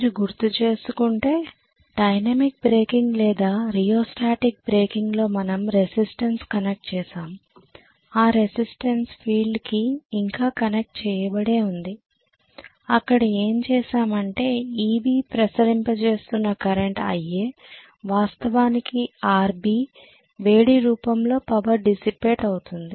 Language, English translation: Telugu, If you may recall, in dynamic breaking or rheostatic breaking what we did was to connect a resistance, we had connected a resistance the field was still there but what we did was this EB was circulating a current IA which was actually getting dissipated, the current was dissipating the power in form of heat in Rb